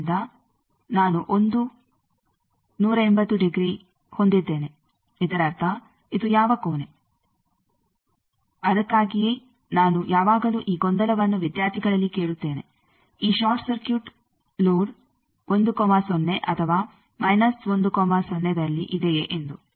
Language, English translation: Kannada, So, I have 1, 180 degree; that means, it is which end that is why I always I ask this confusion to student is the short circuit load at 1 0 or minus 1 0